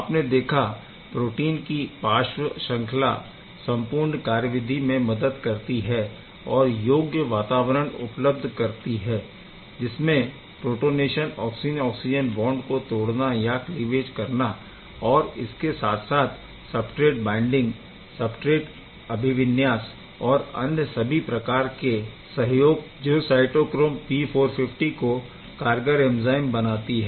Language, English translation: Hindi, As you have seen protein side chains also helps overall in the process to provide the required environment for the protonation and overall process of the oxygen oxygen cleavage as well as the substrate binding, substrate orientation, everything helps to make cytochrome P450 and very effective and effective a very effective enzyme